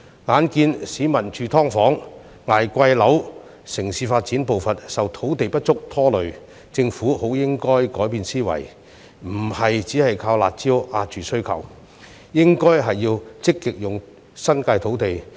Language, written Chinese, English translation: Cantonese, 眼見市民要住"劏房"、捱貴樓、城市發展步伐受土地不足拖累，政府理應改變思維，不能只靠"辣招"遏抑需求，而應積極善用新界土地。, When people have to live in subdivided units or pay exorbitant prices for a home and the pace of urban development is affected by a shortage of land the Government should change its mindset . Instead of relying solely on its harsh measures to curb demand the Government should make optimum use of land in the New Territories proactively